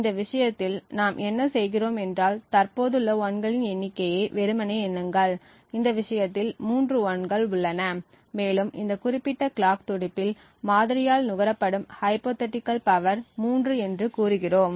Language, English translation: Tamil, In this case what we do is we simply count the number of 1s that are present, in this case there are three 1s present and we say that the hypothetical power consumed by the model is 3 in this particular clock pulse